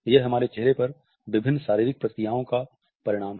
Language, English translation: Hindi, It results into various physical responses on our face